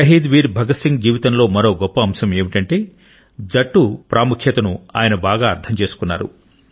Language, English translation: Telugu, Another appealing aspect of Shahid Veer Bhagat Singh's life is that he appreciated the importance of teamwork